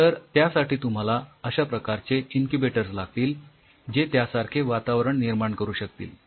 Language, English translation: Marathi, So, you needed incubators of that kind where you can simulate those conditions